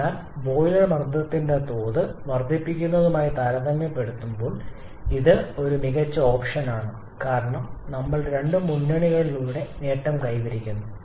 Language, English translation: Malayalam, So, compared to the increase in the boiler pressure level probably this can be a better option because we are gaining in two fronts